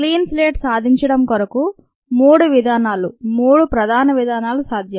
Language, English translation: Telugu, to achieve the clean slate, there are ah three methods possible